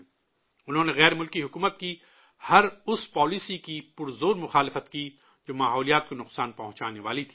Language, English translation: Urdu, He strongly opposed every such policy of foreign rule, which was detrimental for the environment